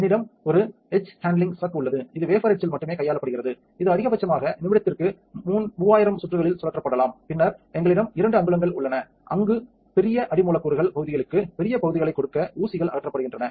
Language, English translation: Tamil, We have an etch handling chuck that is only handling on the etch of the wafer, this one can maximum be spun at 3000 rounds per minute, then we have a two inch where the pins has been removed just to give a large area for large substrates